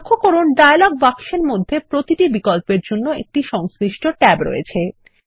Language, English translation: Bengali, Notice that there is a corresponding tab in the dialog box for each of these options